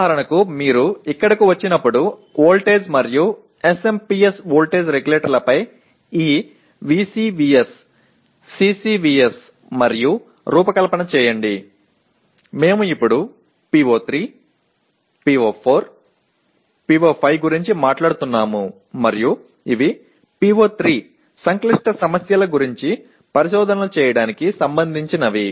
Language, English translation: Telugu, For example when you come here, design this VCVS, CCVS and so on voltage and SMPS voltage regulators we are now talking a PO3, PO4, PO5 and these are PO3 is related to conducting investigations about complex problems